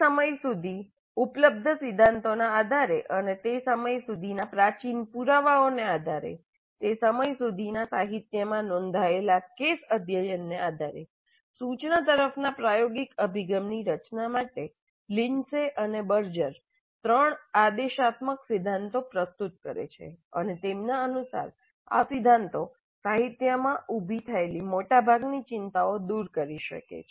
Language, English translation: Gujarati, Based on the theory that was available up to that point of time and based on the empirical evidence that was available to that time, based on the case studies reported in the literature of the time, Lindsay and Berger present three prescriptive principles to structure the experiential approach to instruction and according to them these principles can address most of the concerns raised in the literature